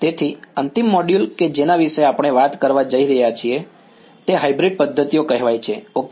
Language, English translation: Gujarati, So, the final module that we are going to talk about are what are called Hybrid methods ok